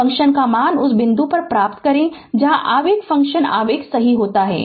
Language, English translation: Hindi, We get the value of the function at the point where the impulse function impulse occurs right